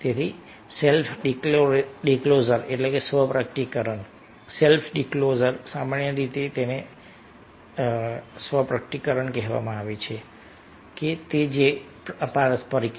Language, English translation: Gujarati, so self disclosure self disclosure generally said, is a reciprocal